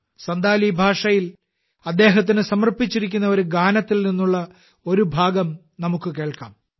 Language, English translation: Malayalam, Let us listen to an excerpt from a song dedicated to them in Santhali language –